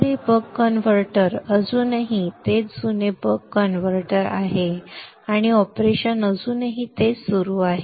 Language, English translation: Marathi, So this is still the buck converter, the same old buck converter and the operation still continues to remain same